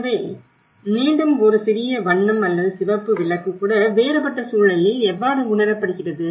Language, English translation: Tamil, So this is where again even a small colour or a red light how it is perceived in a different context